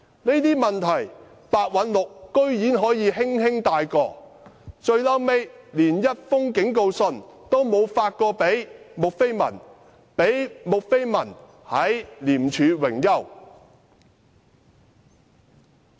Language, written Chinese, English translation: Cantonese, 可是，白韞六居然可以輕輕繞過這些問題，最終連一封警告信也沒有發給穆斐文，她後來還在廉署榮休。, However Simon PEH simply ignored these problems and did not even give Julie MU a warning letter and she later retired from ICAC